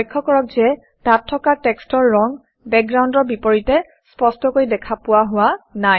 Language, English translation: Assamese, Notice that the existing text color doesnt show up very well against the background